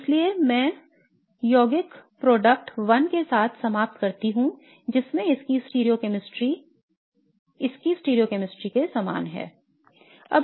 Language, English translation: Hindi, So therefore I would end up with compound product 1 wherein the stereochemistry of this is identical to the stereochemistry of this